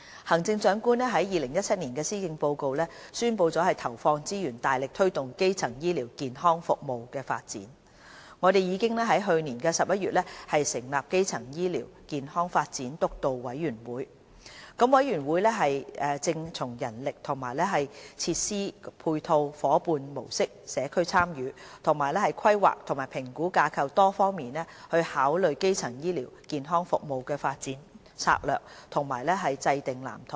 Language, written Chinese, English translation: Cantonese, 行政長官在2017年施政報告宣布投放資源，大力推動基層醫療健康服務的發展，我們已在去年11月成立基層醫療健康發展督導委員會，督導委員會正從人力和設施配套、夥伴模式、社區參與，以及規劃及評估架構多方面考慮基層醫療健康服務的發展策略和制訂藍圖。, The Chief Executive announced in the 2017 Policy Address that the Government would allocate resources to actively promote the development of the primary health care services . We established the Steering Committee on Primary Healthcare Development last November . In formulating development strategy and devising blueprint for primary health care services the Steering Committee is considering various aspects such as manpower and infrastructure planning collaboration model community engagement as well as planning and evaluation framework